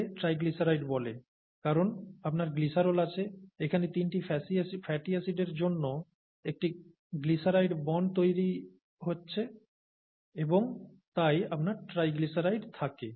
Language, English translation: Bengali, It is called a triglyceride, okay because you have you have glycerol, you have a glyceride bonds being formed here for three fatty acids and you have a triglyceride there